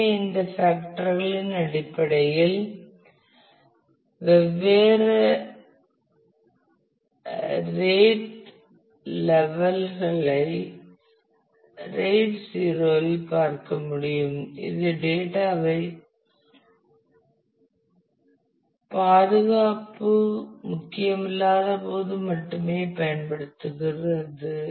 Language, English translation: Tamil, So, based on these factors different rate levels can be looked at RAID 0 is used only when data safety is not important